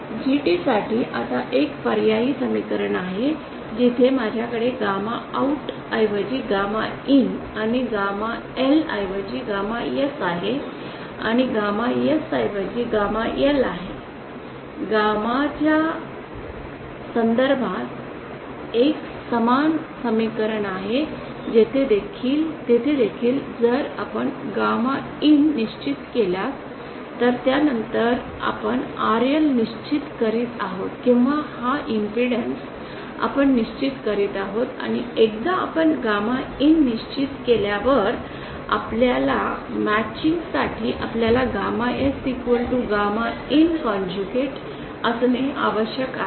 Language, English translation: Marathi, Now there is an alternative expression for GT where I have instead of gamma OUT I have gamma IN and instead of gamma L I have gamma S and instead of gamma S I have gamma L, an analogous expression in terms of gamma IN there also if we fix gamma IN then we are fixing we are fixing RL or this impedance we are fixing and once we fix gamma IN we have to for matching we have to have gamma S equal to conjugate of gamma IN